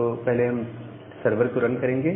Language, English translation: Hindi, So, first we will run the server